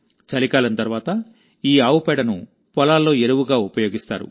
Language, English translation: Telugu, After winters, this cow dung is used as manure in the fields